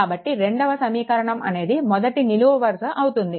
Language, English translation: Telugu, So, this is the first row and this is the first column